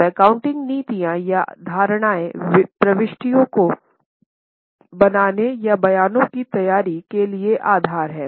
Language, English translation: Hindi, Now the accounting policies or assumptions are the base for making the entries or for preparation of statements